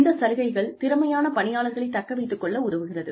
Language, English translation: Tamil, Benefits help retain talented employees